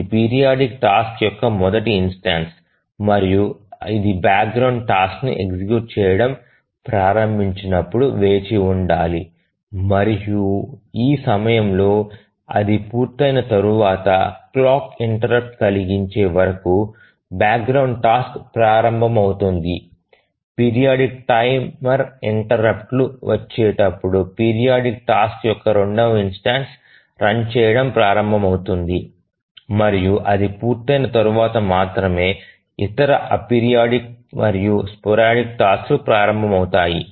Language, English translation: Telugu, So this is the first instance of the periodic task and as it started running, the background tasks are to wait and after its completion at this point the background tasks start running until the clock interrupt comes the periodic timer interrupt at which the second instance of the periodic task starts running and it completes only then the other a periodic and sporadic tasks start running